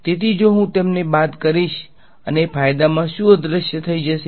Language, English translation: Gujarati, So, if I subtract them the advantages what vanishes